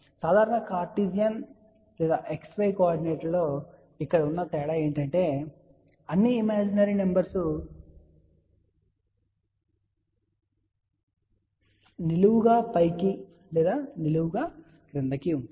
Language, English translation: Telugu, The only difference over here in the normal cartesian or x, y coordinator all the imaginary numbers go vertically up or vertically down